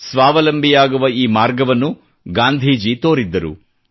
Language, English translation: Kannada, This was the path shown by Gandhi ji towards self reliance